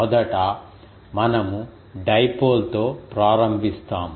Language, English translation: Telugu, First, we will start with the dipole